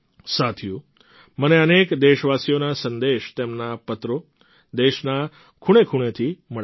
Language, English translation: Gujarati, Friends, I get messages and letters from countless countrymen spanning every corner of the country